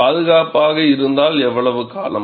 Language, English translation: Tamil, If safe for how long